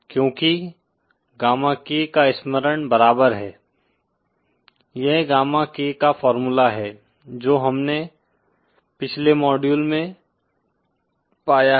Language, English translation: Hindi, Because gamma K recall is equal to, this is the formula for gamma K that we have found in the previous module